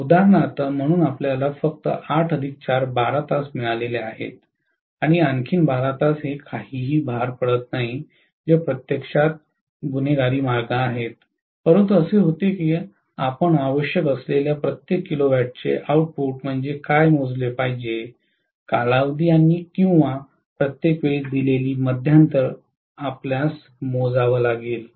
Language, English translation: Marathi, For example, so we have got only 8 plus 4, 12 hours and then another 12 hours it is on no load which is actually a criminal ways, but it is happens that way you are going to essentially calculate what is the kilowatt output for every duration or every time interval given, you have to calculate